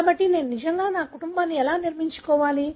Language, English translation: Telugu, So, how do I really build my family